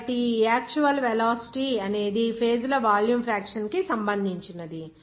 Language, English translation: Telugu, So, this actual velocity is related to the volume fraction of the phases